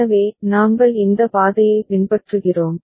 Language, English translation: Tamil, So, we are following this path